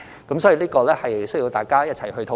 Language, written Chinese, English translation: Cantonese, 因此，這需要大家一起討論。, For this reason the issue must be discussed by all of us together